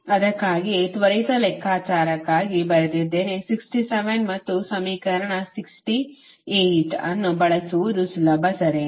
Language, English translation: Kannada, thats why i have written for quick calculation it is easier to use sixty seven and equation sixty seven and sixty eight